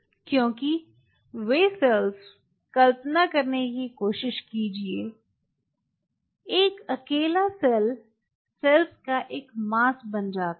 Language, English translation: Hindi, lets put it like this: because those cells try to just visualize a single cell become a mass of cell